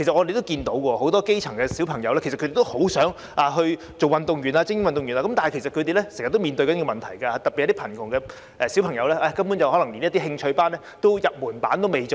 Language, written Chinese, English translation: Cantonese, 不少基層小朋友都很想成為精英運動員，但卻經常面對一些問題，特別是貧窮家庭的小朋友，就是他們根本連入門級的興趣班也無法參與。, It is the dream of many grass - roots children to become elite athletes but making their dreams come true is not easy . In particular children from poor families do not even have a chance to attend interest classes for beginners